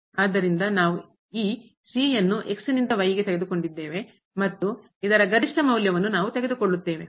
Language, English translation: Kannada, So, we have taken the from this to and we will take the maximum value of this one